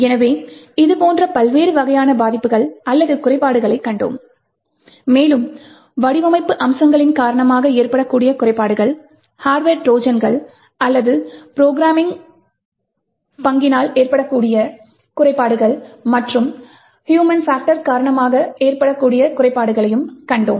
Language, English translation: Tamil, So, we have seen that there are different types of such vulnerabilities or what we call as a flaws and we have seen that the flaws could occur due to design aspects, due to hardware Trojans or due to programming bugs as well as due to the human factor